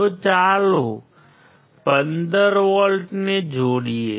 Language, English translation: Gujarati, So, let us connect + 15